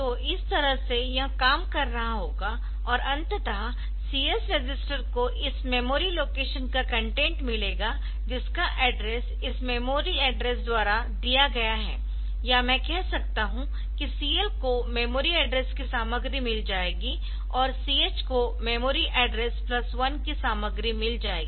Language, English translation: Hindi, So, this way it will be operating and ultimately the CX register will get the content of this memory location whose address is given by this MA memory address or I can say that CL will get the content of MA and CH will get the content of MA plus 1